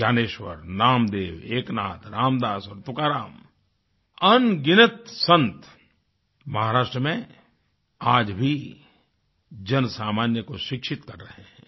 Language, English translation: Hindi, Innumerable saints like Gyaneshwar, Namdev, Eknath, Ram Dass, Tukaram are relevant even today in educating the masses